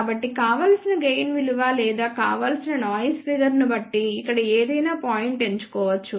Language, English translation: Telugu, So, any point over here can be chosen depending upon the desired gain value or desired noise figure